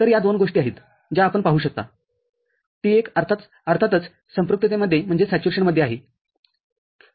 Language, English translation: Marathi, So, these are the two things that we can see, T1 is of course in saturation